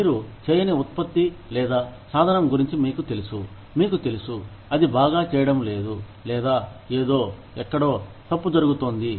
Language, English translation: Telugu, You know about a product, or a practice, that is not doing, you know, that is not doing well, or, something, that is going wrong, somewhere